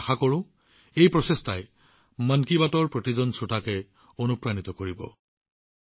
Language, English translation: Assamese, I hope this effort inspires every listener of 'Mann Ki Baat'